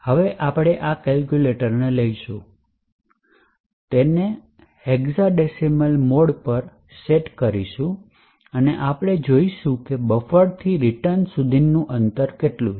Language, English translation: Gujarati, Now we would take our calculator we can do this as follows set it to the hexadecimal mode and we would see what is the distance from the buffer to where the return address is stored